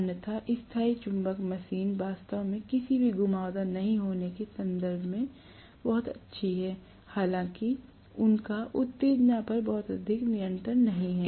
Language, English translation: Hindi, Otherwise permanent magnet machines are really, really good in terms of not having any winding, although they do not have much of control over the excitation right